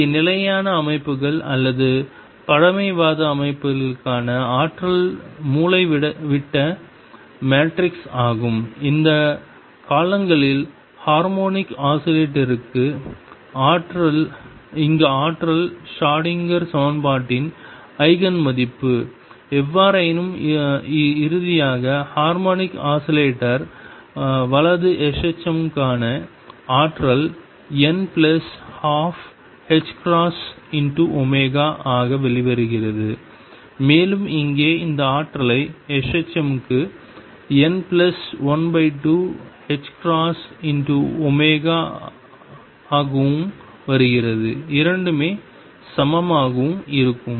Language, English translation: Tamil, Here the energy for stationary systems or conservative systems is diagonal matrix and you have done that in the past for harmonic oscillator here the energy is Eigen value of Schrödinger equation; however, through all this finally, the energy for harmonic oscillator right s h m comes out to be n plus a half h cross omega and here also we have solved this energy for s h m comes out to be n plus a half h cross omega and the 2 are equivalent